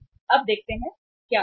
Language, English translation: Hindi, Now, let us see what happens